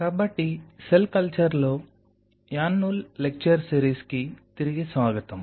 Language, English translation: Telugu, So, welcome back to the lecture series in annual cell culture